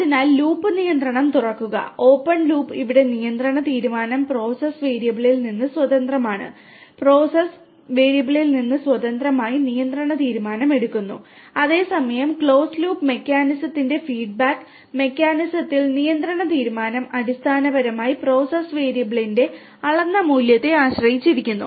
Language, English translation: Malayalam, So, open loop control; open loop here the control decision is made independent of the process variable, control decision independent of the process variable whereas, in the feedback mechanism of the closed loop mechanism, the control decision basically depends on the measured value of the process variable